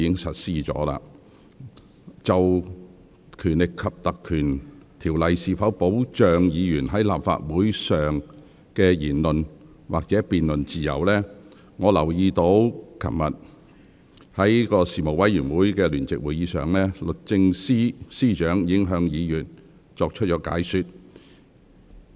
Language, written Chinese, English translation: Cantonese, 就《立法會條例》能否保障議員在立法會上的言論或辯論自由，我注意到昨天舉行的事務委員會聯席會議上，律政司司長已向議員作出解說。, As to whether the Legislative Council Ordinance can protect Members freedom of speech or debate in Council meetings I note that the Secretary for Justice already explained to Members in a joint Panel meeting held yesterday